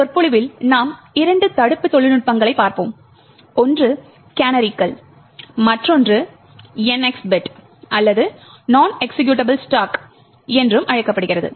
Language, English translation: Tamil, In this lecture we will look at two prevention techniques, one is called canaries while the other one is called the NX bit or the non executable stack